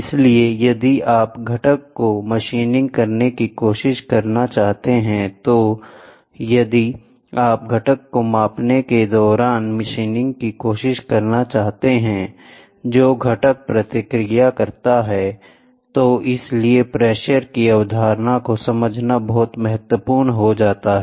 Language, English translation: Hindi, So, if you want to try machining the component or if you want to try during machining measuring the component whatever component response, then understanding the concept of pressure is very very important, ok